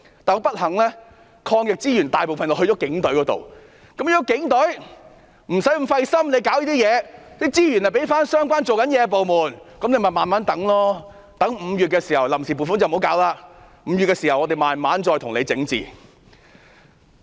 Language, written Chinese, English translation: Cantonese, 但不幸地，抗疫資源大部分落在警隊，如果警隊不要太費心處理這些工作，資源就可以交回相關工作的部門，不需要臨時撥款了，待5月時我們才慢慢整治。, Unfortunately most anti - epidemic resources have been allocated to the Police Force . If the Police Force need not bother to fulfil these duties their resources may be redeployed to the departments which are doing these jobs . In that case the funds on account will no longer be necessary and we may take our time to deal with these items in May